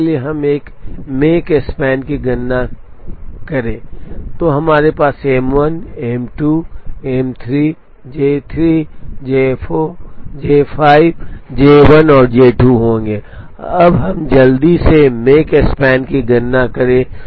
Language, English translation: Hindi, So, let us quickly find out the make span for this sequence, so we write M 1, M 2, M 3, J 3, J 5, J 4, J 1, J 2, so very quickly writing the completion times